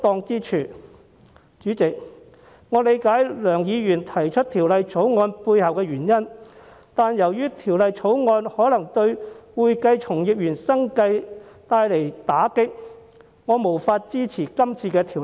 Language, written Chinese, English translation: Cantonese, 主席，我理解梁議員提出《條例草案》的背後原因，但由於《條例草案》可能對會計從業員生計帶來打擊，我無法支持。, President I understand the reasons why Mr LEUNG introduced the Bill . However since the Bill may deal a blow to the livelihood of practitioners I cannot support it